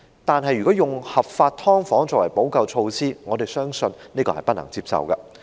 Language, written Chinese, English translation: Cantonese, 可是，如果以合法"劏房"作為補救措施，我們相信這是不能接受的。, But if legal subdivided units were provided as a remedial measure we would consider it unacceptable